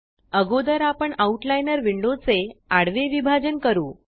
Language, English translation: Marathi, First we will divide the Outliner window horizontally